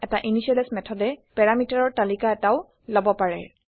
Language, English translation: Assamese, An initialize method may take a list of parameters